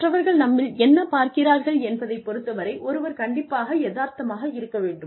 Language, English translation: Tamil, And, one has to be realistic, in terms of, what others see, in us